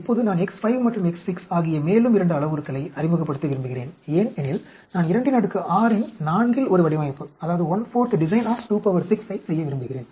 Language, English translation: Tamil, Now, I want to introduce 2 more parameters, X 5 and X 6 because I want to do a one fourth design of 2 power 6